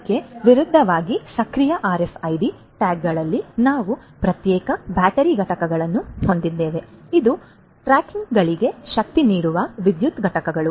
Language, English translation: Kannada, In active RFID tags on the contrary we have separate battery units, power units that can power these tags